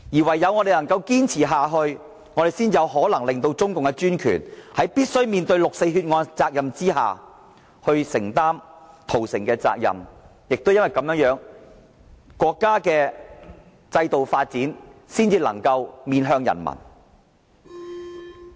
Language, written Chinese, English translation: Cantonese, 唯有我們堅持下去，才有可能令中共政權面對六四血案責任，承擔屠城責任，也唯有如此，國家的制度發展才能坦誠面向人民。, Only in so doing can we make the CPC regime bear responsibility for the massacre and only through this can the country face its people frankly and openly